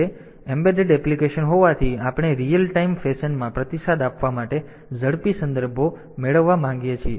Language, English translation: Gujarati, So, since embedded applications, we want to have faster contexts which to respond in real time fashion